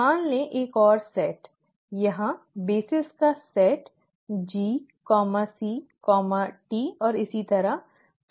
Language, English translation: Hindi, There are let us say another set, set of bases here, G, C, T, so on